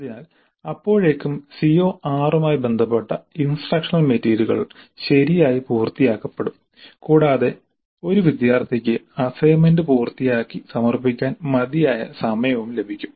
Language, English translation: Malayalam, So by the time the instructional material related to CO6 would have been completed reasonably well and the student has time enough to complete the assignment and submit it